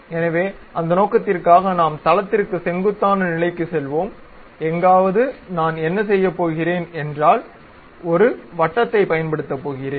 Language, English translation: Tamil, So, for that purpose we will go to normal to plane and somewhere here what I am going to do is use a Circle